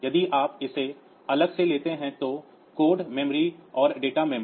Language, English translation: Hindi, So, code memory and data memory if you take it separately